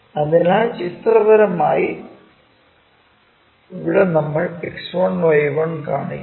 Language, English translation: Malayalam, So, somewhere here we make such kind of X1 Y1 plane